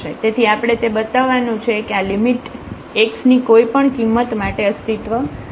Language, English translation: Gujarati, So, we have this showing that these limits exist for whatever for any value of x